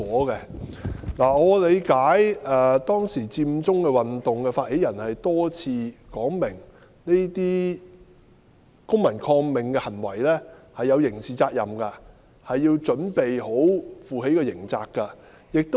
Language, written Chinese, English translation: Cantonese, 據我理解，當年佔中運動發起人曾多番說明參與這些公民抗命的行為是有刑事責任的，要準備負上刑事後果。, As far as I know at that time the initiators of the Occupy Central movement said time and again that one might be held criminally liable or bear legal consequences if they participated in this civil disobedience movement